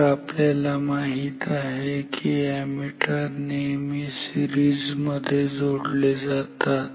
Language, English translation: Marathi, So, we know that ammeters are connected in series